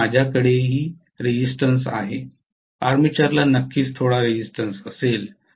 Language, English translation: Marathi, Now I have resistance also, armature will have some resistance definitely